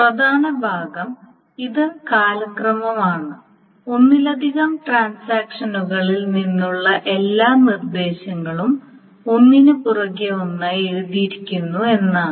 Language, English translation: Malayalam, Now the important part is that this is chronological, that means all the instructions from multiple transactions are written one after another